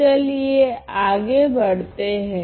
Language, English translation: Hindi, So, let us move ahead